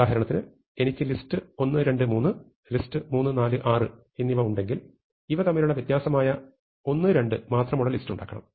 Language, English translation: Malayalam, So, for example, if I have list 1, 2, 3 and list 3, 4, 6 then I may want to keep in the list only 1, 2